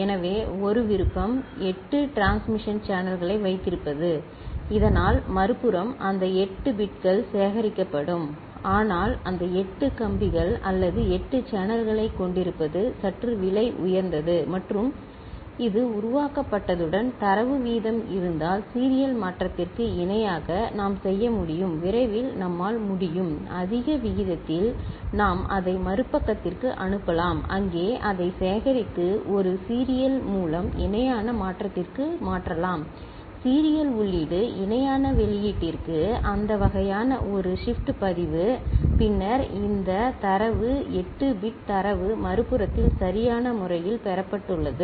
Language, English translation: Tamil, So, one option is to have 8 transmission channels ok, so that at the other side those 8 bits will be appropriately collected, but having those 8 wires or 8 channels is a bit costly and if the data rate with which this is generated is such that we can make a parallel to serial conversion and quickly we can at a higher rate, we can send it to the other side and there we can collect it and convert through a serial to parallel conversion, serial input to parallel output that kind of a shift register – then, we have a this data 8 bit data appropriately received at the other side